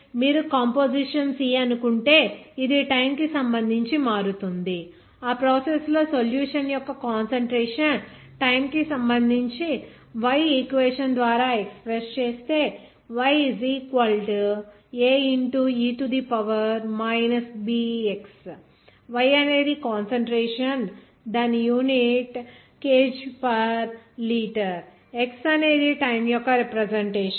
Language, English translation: Telugu, Like if you suppose that composition C which will vary with respect to time a process that the concentration of solution respect to time express by the equation Y is equal to a minus b x square Y is concentration whose unit is kg per liter whereas this x denoting for the time